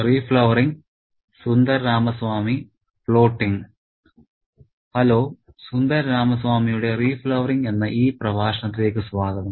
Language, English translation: Malayalam, Hello and welcome to this lecture on Sundaramami's re flowering